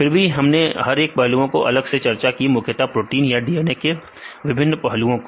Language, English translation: Hindi, Then we discuss each aspect separately mainly if we focused on the protein side as well as some aspects of a DNA right